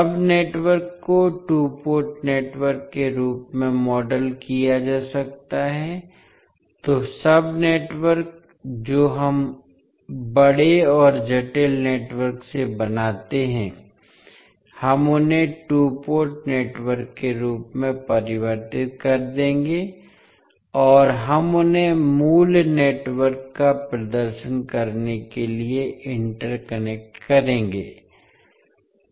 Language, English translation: Hindi, The sub networks can be modelled as two port networks, so the sub networks which we create out of the large and complex network, we will convert them as a two port network and we will interconnect them to perform the original network